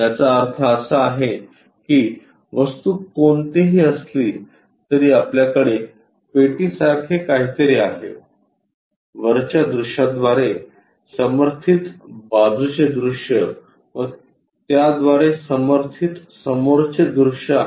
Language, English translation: Marathi, That means whatever might be the object if we have something like a box, a front view supported by a side view supported by a top view